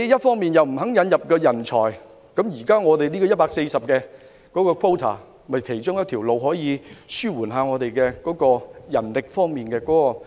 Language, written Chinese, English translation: Cantonese, 他們不肯引入人才，而現時150個配額正是其中一個方法，可紓緩本港的人力供求問題。, Given their refusal to import talents the existing quota of 150 is precisely one of the ways to alleviate the problem with the demand for and supply of manpower in Hong Kong